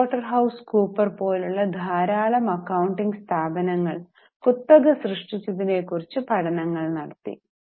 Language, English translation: Malayalam, So, lot of accounting firms like Price, Waterhouse, scuppers, they created a kind kind of monopoly